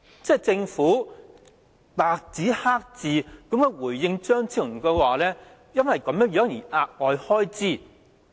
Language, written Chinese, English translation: Cantonese, 政府白紙黑字回應張超雄議員，說會因為這樣而有額外開支。, The Government responded to Dr Fernando CHEUNG in black and white saying that additional expenses will be incurred on account of this